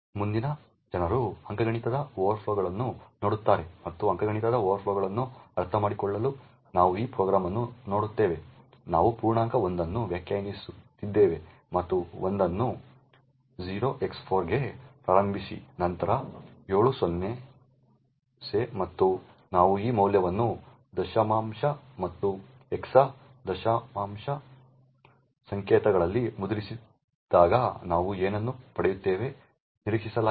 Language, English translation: Kannada, Next people look at arithmetic overflows and to understand arithmetic overflows we look at this program, we define an integer l and initialise l to 0x4 followed by 7 0s and when we do print this value of l in decimal and hexa decimal notation we get what is expected